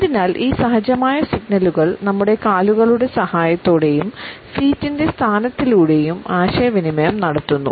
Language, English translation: Malayalam, So, these instinctive signals are communicated with a help of our legs and the positioning of the feet